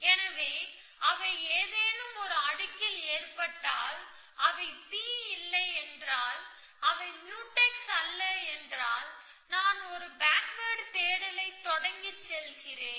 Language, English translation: Tamil, So, if they occur in some layer and they are not some let us say P n and they are not Mutex then I start a backward search face and say